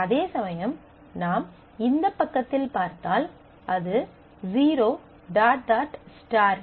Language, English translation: Tamil, Whereas if I if we see on this side, it says that 0 dot, dot, star, star stands for no limit